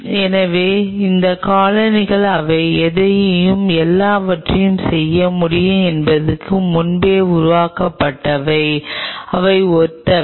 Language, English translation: Tamil, so these colonies, while they are formed earlier to that it was, they can do anything and everything